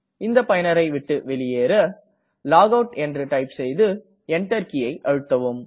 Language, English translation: Tamil, To logout from this user, type logout and hit Enter